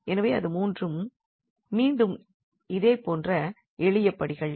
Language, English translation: Tamil, So, it is a simple steps again, but the similar one